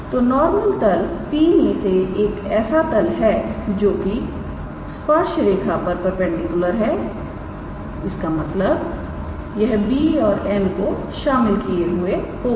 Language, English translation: Hindi, So, the normal plane is the plane through P perpendicular to the tangent line so; that means, it will contain b and n alright